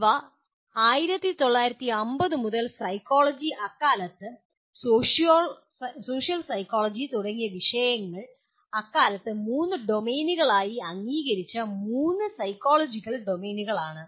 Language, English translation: Malayalam, These are the three psychological domains which were fairly accepted as three domains at that time by disciplines like psychology or social psychology in 19 by 1950s